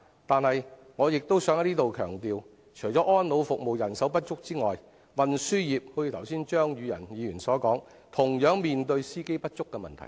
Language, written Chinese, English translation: Cantonese, 但是，我亦想在此強調，除了安老服務人手不足外，運輸業——正如張宇人議員剛才所說——同樣面對司機不足的問題。, However I would also like to stress that apart from the shortage of labour in elderly care services the transport sector is also suffering from the problem of insufficient drivers as just mentioned by Mr Tommy CHEUNG just now